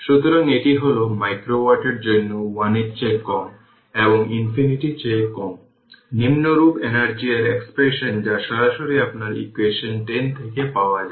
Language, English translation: Bengali, So, this is micro watt for t greater than 1 less than infinity this is the power, the energy expression as follows that directly we get from your what you call equation 10 right